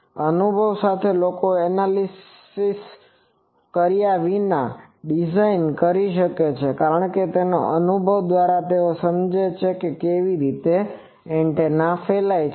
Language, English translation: Gujarati, With experience people can design antennas without analysis because, by their experience they understand how it radiates etc